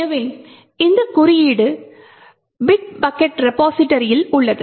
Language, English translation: Tamil, So, this code is present in the bit bucket repository